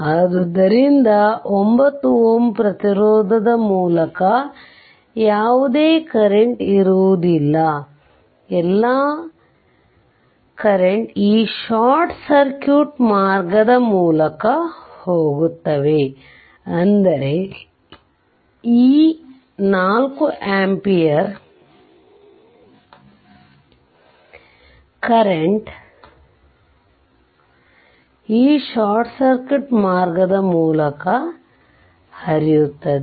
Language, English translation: Kannada, So, there will be no current through 9 ohm resistance all current will go through this short circuit path, that means this 4 ampere current will flow through this short circuit path